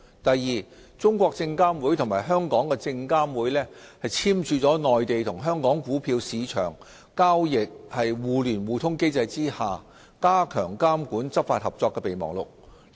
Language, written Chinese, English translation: Cantonese, 第二，中證監與證監會簽署了《內地與香港股票市場交易互聯互通機制下加強監管執法合作備忘錄》。, Second CSRC and SFC signed the Memorandum of Understanding on Strengthening Regulatory and Enforcement Cooperation under the Mainland - Hong Kong Stock Connect